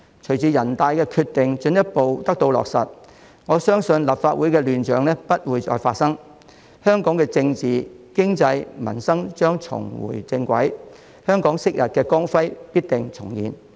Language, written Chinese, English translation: Cantonese, 隨着人大的決定進一步得到落實，我相信立法會的亂象不會再發生，香港的政治、經濟和民生將重回正軌，香港昔日的光輝必定重現。, Following the further implementation of the decision of the National Peoples Congress I believe that the chaos seen in the Legislative Council will not reappear . Hong Kongs politics economy and the livelihood of the people will get back on the right track and the glory of Hong Kong in the old days will re - emerge once again